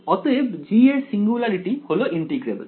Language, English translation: Bengali, So, the singularity of g is integrable